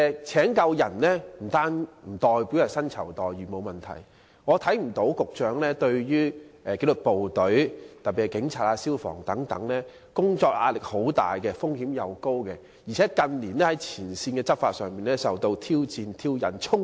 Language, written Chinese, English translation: Cantonese, 雖然薪酬待遇方面沒有問題，但紀律部隊，特別是警察、消防員等工作壓力很大，風險也很高，而且他們近年在前線執法時經常受到挑戰、挑釁和衝擊。, Although there is no problem with the remuneration package the disciplined services especially police officers and firemen have to bear immense work pressure and very high risk . In recent years they have frequently been challenged provoked and charged when enforcing the law on the front line